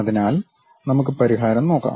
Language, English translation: Malayalam, So, let us look at the solution